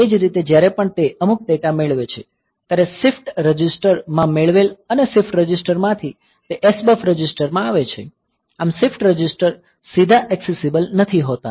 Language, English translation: Gujarati, Similarly whenever it receives some data; so, it is there in the shift register and from the shift register it comes to the SBUF register; so the shift register is a not directly accessible